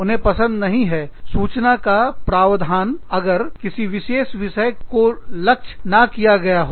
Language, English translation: Hindi, They do not like programs, that are not targeted, to specific audiences